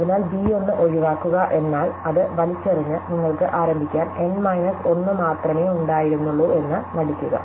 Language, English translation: Malayalam, So, exclude b 1 means just throw it out and pretend you only had N minus 1 jobs to begin with